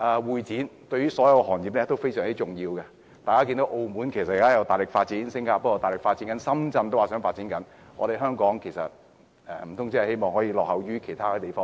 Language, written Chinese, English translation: Cantonese, 會展對於所有行業也是重要的，大家看到澳門、新加坡和深圳現時也正大力發展，難道香港真的想落後於其他地方嗎？, HKCEC is important to all trades . We can see that places like Macao Singapore and Shenzhen are currently developing in full force . Does Hong Kong really want to be lagging behind other places?